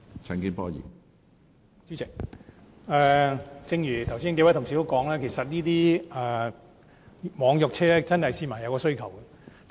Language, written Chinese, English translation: Cantonese, 主席，正如剛才數位同事也提到，市民對於網約車服務確有需求。, President as mentioned by a number of colleagues just now there is indeed a demand for e - hailing service